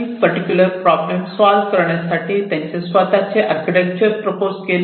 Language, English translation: Marathi, they came up with their architecture to deal with this particular problem